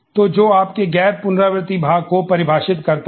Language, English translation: Hindi, So, which defines your non recursive seat part